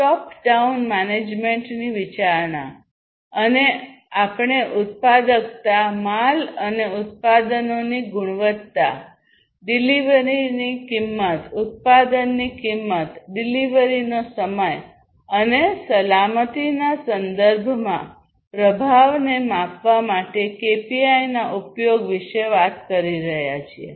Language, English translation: Gujarati, Consideration of top down management and here basically we are talking about the use of KPIs to measure the performance in terms of productivity, quality of the goods and products, costs, cost of delivery, cost of production, delivery time, safety, and so on